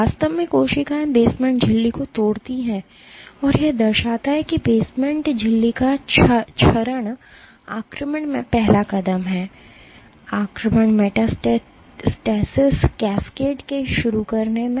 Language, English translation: Hindi, Were cells actually degrade the basement membrane and that represents that degradation of the basement membrane represents the first step in invasion, in initiating the invasion metastasis cascade